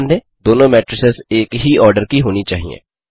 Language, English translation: Hindi, Note that both the matrices should be of the same order